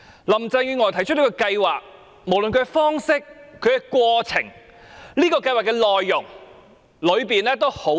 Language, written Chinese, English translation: Cantonese, 林鄭月娥提出這個計劃，無論方式、過程及內容都問題多多。, Carrie LAMs proposed project is riddled with problems in respect of its form process and contents